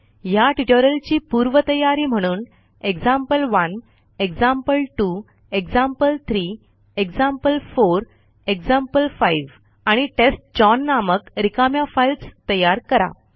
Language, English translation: Marathi, The prerequisite for this tutorial is to create empty files named as example1, example2, example3, example4, example5, and testchown